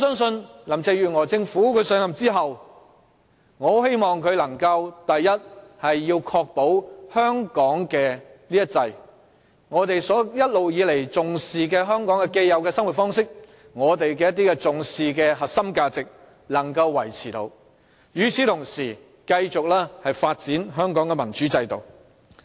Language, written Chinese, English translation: Cantonese, 因此，我希望林鄭月娥上任後能夠確保香港這"一制"，即我們一直以來所重視的香港既有生活方式和核心價值能夠維持，並同時繼續發展香港的民主制度。, Hence I hope that Carrie LAM will be able to maintain the one system in operation here in Hong Kong after she assumes office by that I mean we can go on leading our own way of life as before and keep upholding our core values both of which are highly treasured by us all along . In the meantime we hope that she will continue to seek democratic development for Hong Kong